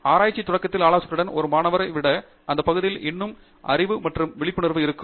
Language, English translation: Tamil, So, initially you might think that the advisor has more knowledge or more awareness of the area than a student